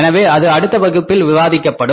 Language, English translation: Tamil, So, that will be discussed in the next class